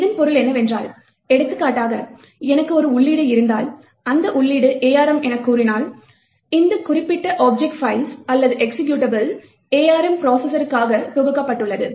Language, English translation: Tamil, What this means, for example if I have an entry, if the entry is let us say, arm, it means that this particular object file or executable was compiled for the arm processor